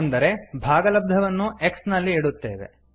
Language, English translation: Kannada, That means the quotient will be stored in x